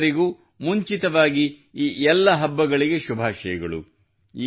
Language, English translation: Kannada, Advance greetings to all of you on the occasion of these festivals